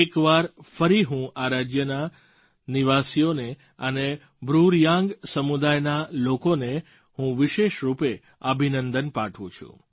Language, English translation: Gujarati, I would once again like to congratulate the residents of these states and the BruReang community